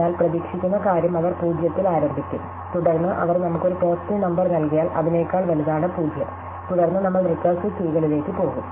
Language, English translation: Malayalam, But the expected thing is that they will start with 0 and then if they give us a positive number which is bigger than 0, then we will go to the recursive keys